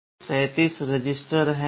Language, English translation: Hindi, In total there are 37 registers